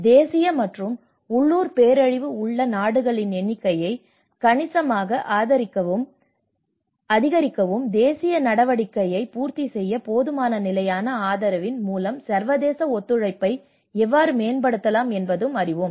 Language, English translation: Tamil, And as well as substantially increase the number of countries with national and local disaster and you know how we can actually enhance the international cooperation through adequate sustainable support to complement the national action